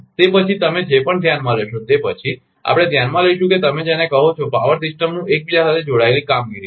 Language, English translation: Gujarati, Next it, next whatever you will consider, we will consider that you are what you call interconnected operation of power system